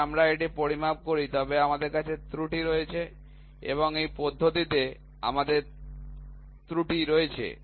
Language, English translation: Bengali, So, although we measure it we still have errors we still have error in this method in this method, ok